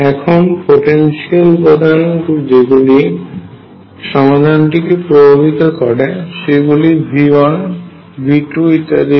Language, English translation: Bengali, So, the potential components that affect the solution are the components V 1 V 2 and so on